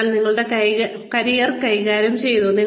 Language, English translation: Malayalam, So, you have managed your career